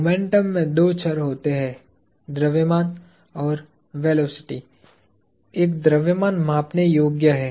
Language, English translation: Hindi, Momentum has two variables in it: mass and velocity; a mass is measurable